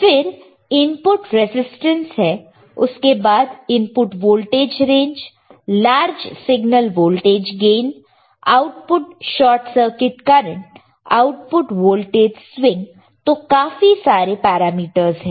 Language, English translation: Hindi, Then there is input resistance followed by input voltage range, large signal voltage gain, output short circuit current, output voltage swing see